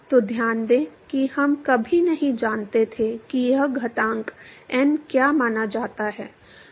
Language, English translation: Hindi, So, note that we never knew what this exponent n is suppose to be